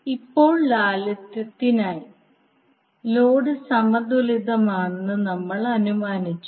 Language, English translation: Malayalam, Now for simplicity we have assumed that the load is balanced